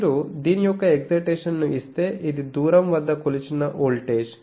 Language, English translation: Telugu, If you give an excitation of this, this is the measured voltage at a distance